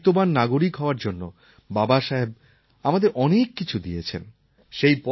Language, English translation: Bengali, Baba Saheb has given us a lot to help shape us into ideal citizens